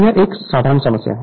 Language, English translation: Hindi, So, this problem is a simple problem